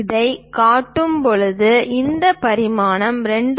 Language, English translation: Tamil, When we are showing that, already we know this dimension is 2